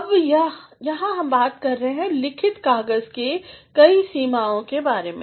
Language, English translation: Hindi, Now, here we shall be talking about the various limitations of the written paper